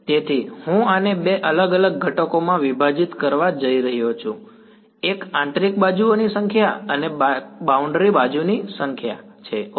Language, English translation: Gujarati, So, I am going to break this up into two different components, one is the number of interior edges and the number of boundary edges ok